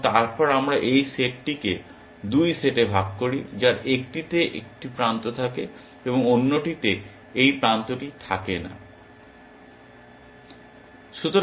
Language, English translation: Bengali, And then, we partition this set into 2 sets one which contain one edge, and the other which did not contain this edge